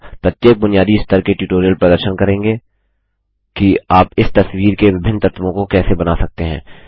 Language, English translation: Hindi, Each basic level tutorial will demonstrate how you can create different elements of this picture